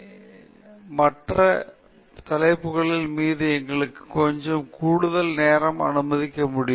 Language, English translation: Tamil, The summary may not take ten minutes; so, we can allow us ourselves a little extra time on these other three topics